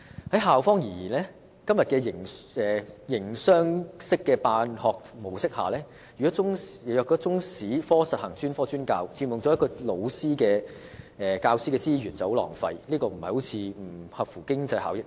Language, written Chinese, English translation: Cantonese, 從校方的角度看，在今天營商式的辦學模式下，若中史科實行專科專教，便會佔用教師資源，這是很浪費的事，並不符合經濟效益。, From the perspective of schools under the current system where schools are run like businesses if specialized teaching is implemented for the subject of Chinese History it will take up teachers resources and this is very wasteful and uneconomical